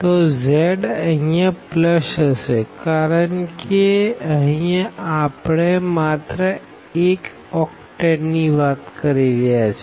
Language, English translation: Gujarati, So, z will be plus here because we are talking about just one octane there